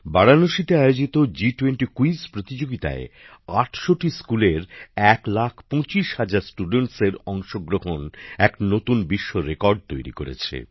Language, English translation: Bengali, 25 lakh students from 800 schools in the G20 Quiz held in Varanasi became a new world record